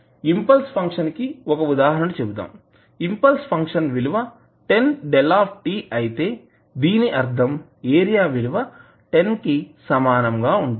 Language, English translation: Telugu, Say for example if the impulse function is 10 delta t means it has an area equal to 10